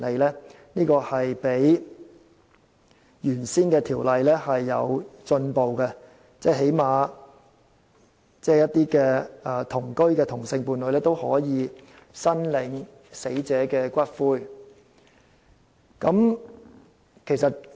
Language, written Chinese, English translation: Cantonese, 這較以前的法例有進步，因為最低限度，同居的同性伴侶也可以申領死者的骨灰。, This is some sort of progress compared to the past legislation as it at least enables same - sex cohabiting partners to claim the ashes of the deceased partner